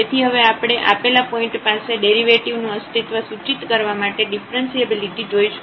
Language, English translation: Gujarati, So, the now we will see the differentiability implies the existence of the derivative at a given point